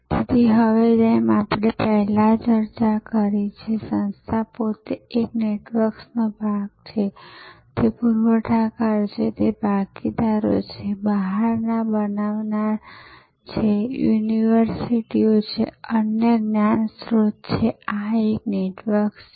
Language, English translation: Gujarati, So, now as we discussed before, the organization the firm itself is part of a network, it is suppliers, it is partners, designers from outside, universities, other knowledge sources, this is one network